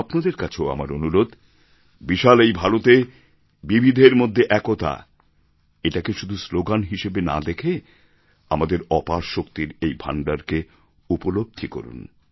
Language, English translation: Bengali, I request you too, to feel the "Unity in Diversity" which is not a mere slogan but is a storehouse of enormous energy